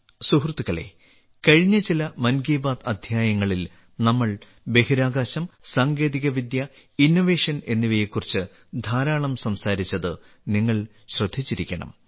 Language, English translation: Malayalam, Friends, you must have noticed that in the last few episodes of 'Mann Ki Baat', we discussed a lot on Space, Tech, Innovation